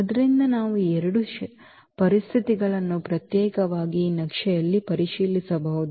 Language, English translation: Kannada, So, we can check those 2 conditions separately on this map